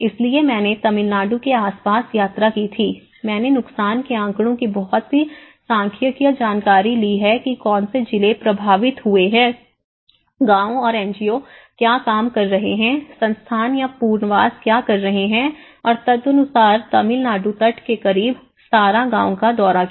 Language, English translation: Hindi, So, what I did was I travelled around Tamilnadu, I have taken a lot of statistical information of the damage statistics what districts have been affected, what are the villages, what are the NGOs working on, what approaches they are doing whether they are doing Institute or a relocation and accordingly have visited about 17 villages along the stretch of Tamilnadu coast